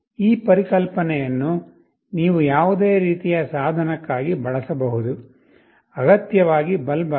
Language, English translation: Kannada, This concept you can use for any kind of device, not necessary a bulb